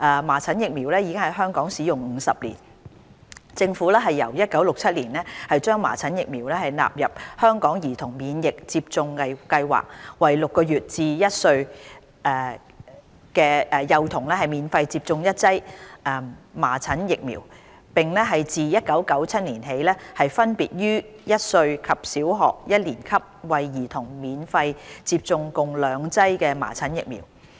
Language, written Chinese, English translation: Cantonese, 麻疹疫苗已在香港使用約50年，政府由1967年將麻疹疫苗納入香港兒童免疫接種計劃，為6個月至1歲的幼童免費接種一劑麻疹疫苗，並自1997年起分別於1歲及小學一年級為兒童免費接種共兩劑麻疹疫苗。, Measles vaccination has been in use in Hong Kong for about 50 years . Since 1967 measles vaccination has been incorporated into the Hong Kong Childhood Immunisation Programme under which a dose of measles vaccine is given to infants aged six months to one year for free . From 1997 onwards two doses of vaccine are given to children for free one at one year old and the other at Primary One